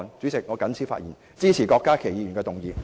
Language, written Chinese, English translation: Cantonese, 主席，我謹此陳辭，支持郭家麒議員的議案。, With these remarks Deputy President I support Dr KWOK Ka - kis motion